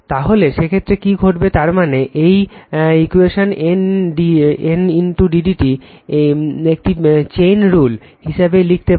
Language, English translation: Bengali, So, in that case what will happen that your that means, this equation this N into d phi by d t, we can write as a chain rule right